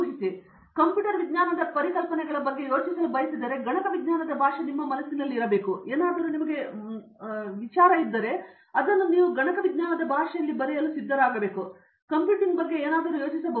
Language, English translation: Kannada, So if I start if I want to think about computer science concepts, the language of computer science should be there in your mind then you can think anything about computing